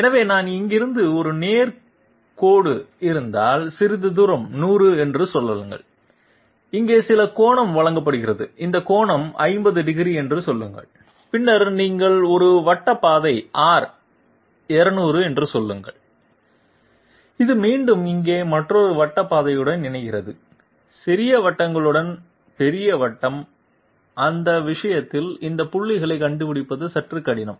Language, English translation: Tamil, So if I have a straight line from here to here, some distance say 100 and there is some angle provided here, this angle is say 50 degrees and then you are having a circular path say R 200 and this is again connecting up with another circular path here, large circle with small circles, in that case finding out these points is a bit difficult